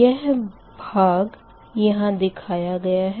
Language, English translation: Hindi, so this part is drawn